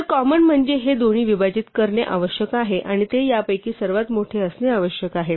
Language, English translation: Marathi, So, common means it must divide both and it must be the largest of these